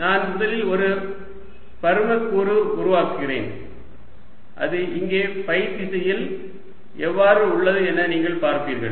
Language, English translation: Tamil, let me first make one volume element and you will see what it looks like here in phi direction